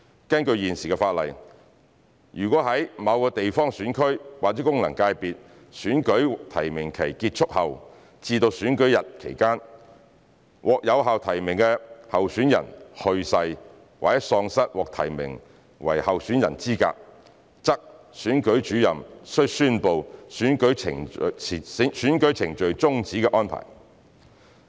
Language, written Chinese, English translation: Cantonese, 根據現時法例，如在某地方選區或功能界別的選舉提名期結束後至選舉日期間，獲有效提名的候選人去世，或喪失獲提名為候選人的資格，則選舉主任須宣布選舉程序終止的安排。, According to the existing legislation after the close of nominations for an election for a GC or an FC but before the date of the election if a validly nominated candidate has died or is disqualified from being nominated as a candidate the Returning Officer must declare that the proceedings for the election are terminated